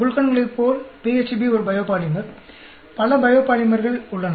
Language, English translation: Tamil, Just like the glucans PHB is a biopolymer; there are many biopolymers